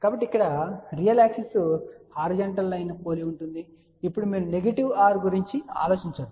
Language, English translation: Telugu, So, here real axis is very similar to that horizontal line which you do except that do not now thing about a negative r